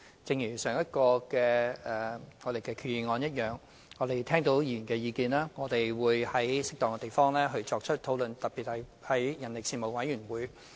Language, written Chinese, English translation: Cantonese, 一如上一項決議案，我們聽到議員的意見，並會在適當的場合作出討論，特別是在相關事務委員會。, As in the case of the last resolution we have heard Members opinions and will discuss these issues in appropriate occasions especially at meetings of the Panel on Manpower